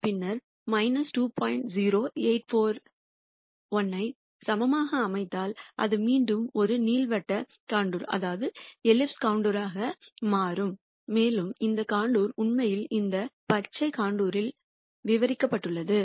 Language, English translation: Tamil, 0841 then that would be again an elliptical contour and that contour is actually described by this green contour